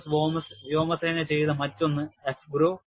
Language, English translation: Malayalam, There is another one done by US Air Force, which is called as AFGROW